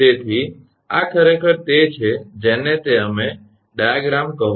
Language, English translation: Gujarati, So, this is actually that your what you call the diagram